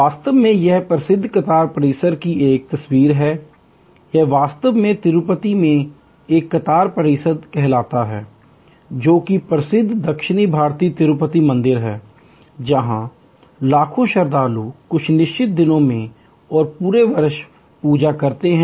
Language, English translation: Hindi, In fact, that is a picture of the famous queue complex, it is in fact called a queue complex at the Tirupati, the famous south Indian Tirupati temple, where millions of pilgrims congregate on certain days and on the whole throughout the year, they have huge flow of people